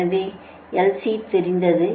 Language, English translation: Tamil, so l is known, c is known